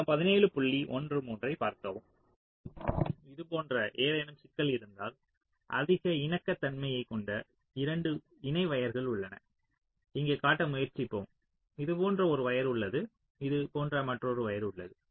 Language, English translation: Tamil, ok, so now if i, if there is any issue like this, there are two parallel wires which has high capacitance, like say, lets try to show here there is a wire like this, there is another wire like this